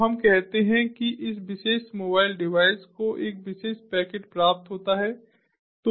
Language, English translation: Hindi, so let us say that this particular mobile device receives a particular packet